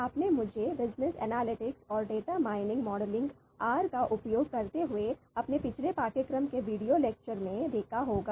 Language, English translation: Hindi, You must have seen me in the video lectures of my previous course on “Business Analytics and Data Mining Modeling using R”